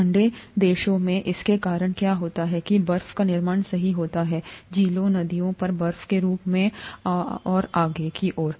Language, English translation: Hindi, What happens because of this in cold countries, ice forms right, ice forms on lakes, rivers and so on and so forth